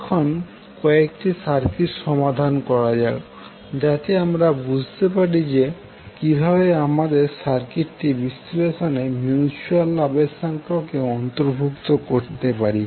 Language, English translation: Bengali, Now let solve few of the circuits so that we can understand how you can involve the mutual inductance in our circuit analyses